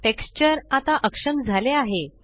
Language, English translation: Marathi, Now the texture is disabled